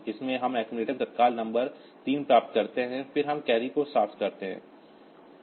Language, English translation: Hindi, so we get the immediate number 3 in the accumulator, then we clear the carry